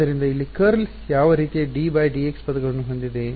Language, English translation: Kannada, So, curl over here will have what kind of terms d by d x